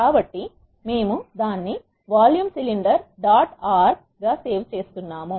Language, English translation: Telugu, So, we are saving it as vol cylinder dot R